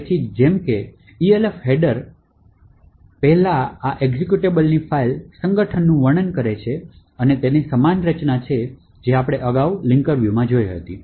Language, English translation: Gujarati, So, as before the Elf header describes the file organisation of this executable and has a very same structure as what we have seen previously for the linker view